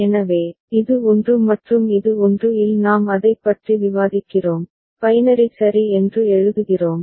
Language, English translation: Tamil, So, this is 1 and this is 1 in we are discussing it, writing in binary ok